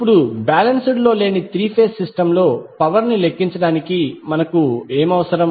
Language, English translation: Telugu, Now to calculate the power in an unbalanced three phase system, what we require